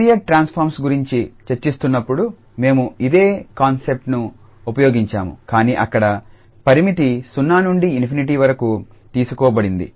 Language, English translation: Telugu, We have used similar concept while discussing the Fourier transform as well but the limit was taken from 0 to infinity